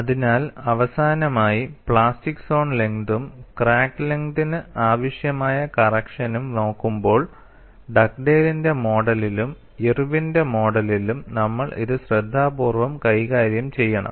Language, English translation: Malayalam, So, finally, when we look at the plastic zone length and there correction necessary for crack length, we have to handle it carefully in Dugdale’s model as well as Irwin’s model, there is a subtle difference between the two